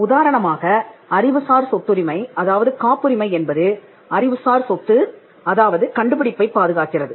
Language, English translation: Tamil, The intellectual property rights that is patents, they protect the intellectual property that is invention